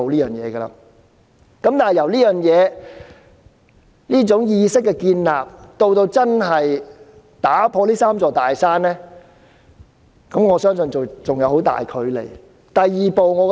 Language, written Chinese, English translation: Cantonese, 然而，從建立這種意識到真正打破這"三座大山"，我相信仍有很大距離。, Yet from the instillation of ideology to the removal of the three big mountains I think we still have a long way to go